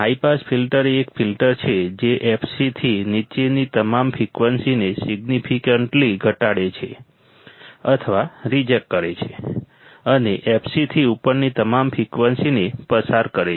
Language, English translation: Gujarati, A high pass filter is a filter that significantly attenuates or rejects all the frequencies below f c below f c and passes all frequencies above f c